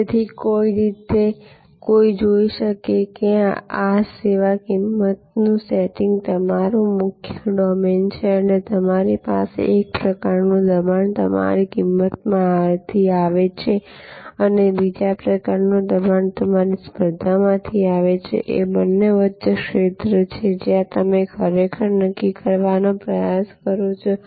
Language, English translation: Gujarati, So, in some way one can see that as if, this is your main domain of service price setting and you have one kind of pressure coming from your cost and another kind of pressure coming from your competition and between the two is the arena, where you actually try to determine